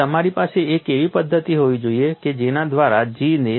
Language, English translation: Gujarati, So, you should have a mechanism by which bring down the G